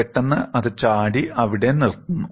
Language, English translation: Malayalam, Suddenly, it jumps and stops there